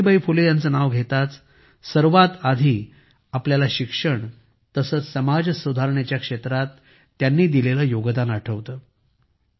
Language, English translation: Marathi, As soon as the name of Savitribai Phule ji is mentioned, the first thing that strikes us is her contribution in the field of education and social reform